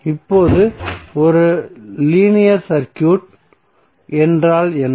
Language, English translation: Tamil, Now what is a linear circuit